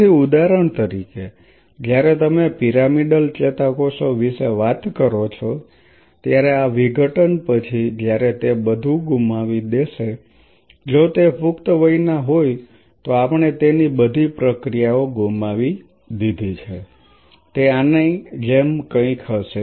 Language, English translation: Gujarati, So, say for example, when you talk about the pyramidal neurons these will be after dissociation when it has lost all if it is an adult we talking about the adult it has lost all its processes is this would be something like this